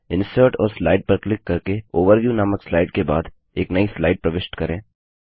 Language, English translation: Hindi, Insert a new slide after the slide titled Overview by clicking on Insert and Slide